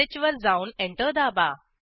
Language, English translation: Marathi, Go to dot slash fileattrib2 dot sh Press Enter